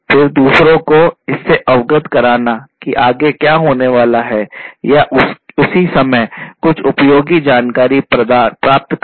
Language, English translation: Hindi, Then you know making others aware of what is going to happen next or deriving some useful information at the same time out of this analysis